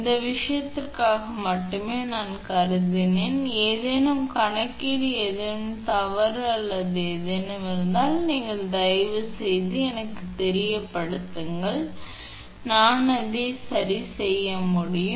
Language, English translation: Tamil, I have considered for this thing only thing is that if any calculation anything is wrong or anything then you please let me know then I can rectify myself